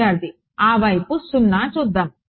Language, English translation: Telugu, Let us see that side the 0